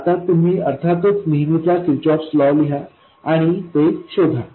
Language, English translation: Marathi, Now, you can of course write the usual Kirchhoff's laws and find it